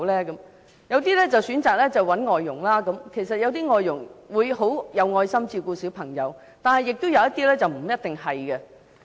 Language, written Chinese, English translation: Cantonese, 有些父母選擇找外傭幫忙，雖然有些外傭很有愛心照顧小朋友，但有些並不一定是這樣的。, Some parents will choose to hire foreign domestic helpers and while some foreign domestic helpers are very caring in minding children some others may not necessarily be so